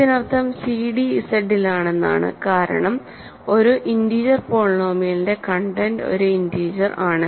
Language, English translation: Malayalam, This means cd is in Z, right because content is a for an integer polynomial content is an integer